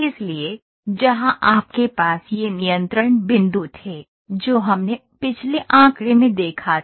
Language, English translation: Hindi, So, where in which you had these control points, what we saw in the previous figure